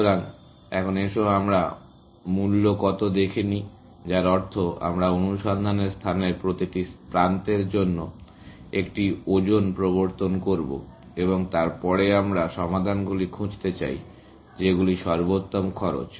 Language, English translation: Bengali, introduce cost, which means we will introduce a weight for every edge in the search space and then, we want to find solutions, which are optimal cost